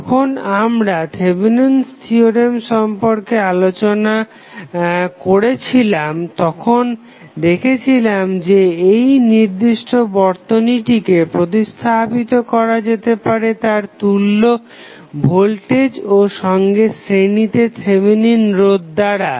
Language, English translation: Bengali, So, when we discuss the Thevenin's theorem we discuss that this particular circuit can be replaced by its equivalent voltage in series with Thevenin resistance